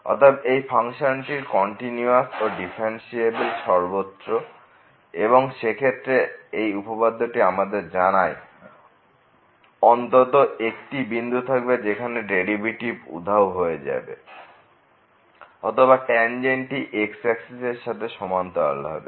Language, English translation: Bengali, So, the function is continuous and differentiable everywhere then this theorem says that there will be at least one point where the derivative will vanish or the tangent will be parallel to